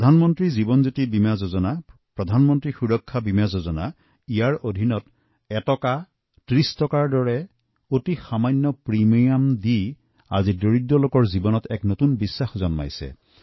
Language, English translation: Assamese, Schemes like, Pradhan Mantri Jeewan Jyoti Bima Yojna, Pradhan Mantri Suraksha Bima Yojna, with a small premium of one rupee or thirty rupees, are giving a new sense of confidence to the poor